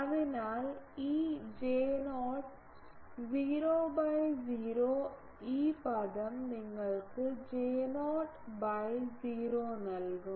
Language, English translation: Malayalam, So, this J not 0 by 0 this term will give you J not 0 by 0